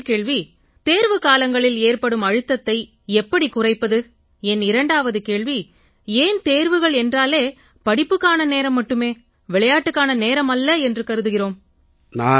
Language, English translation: Tamil, My first question is, what can we do to reduce the stress that builds up during our exams and my second question is, why are exams all about work and no play